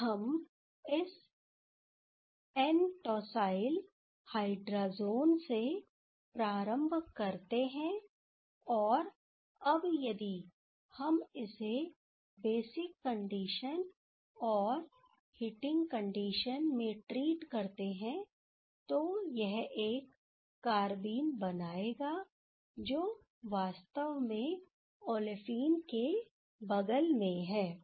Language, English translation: Hindi, So, if we start from this N tosyl hydrazone and from there if we treat with under basic conditions and heating condition, then that will generate the carbene that actually adjacent to a olefin